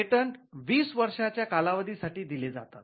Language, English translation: Marathi, They are granted for a period of 20 years